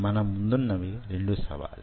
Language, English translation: Telugu, there are two challenges